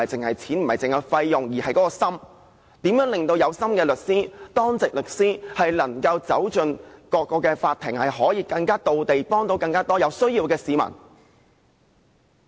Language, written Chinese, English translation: Cantonese, 我們更關注如何能令有心的律師——當值律師——走進各個法庭，可以更到位，幫助更多有需要的市民。, We are even more concerned about how to enable more good - hearted lawyers―duty lawyers―to offer more focused help to a greater number of needy people in various courtrooms . Let us put ourselves in the shoes of grass - roots people